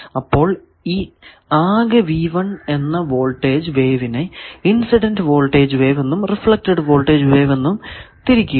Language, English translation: Malayalam, So, we will have to find the incident voltage wave, incident current wave, reflected voltage wave, etcetera